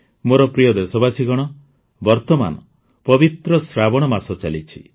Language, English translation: Odia, My dear countrymen, at present the holy month of 'Saawan' is going on